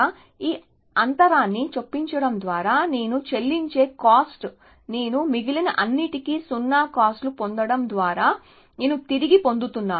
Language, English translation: Telugu, So, I am the cost I am paying by inserting this gap, I am regaining by getting 0 costs for all the rest essentially